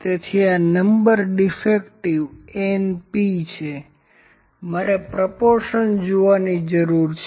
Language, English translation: Gujarati, So, this is Number Defective np number defective I need to see the proportion